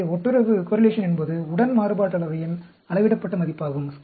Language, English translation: Tamil, So, correlation is the scaled version of covariance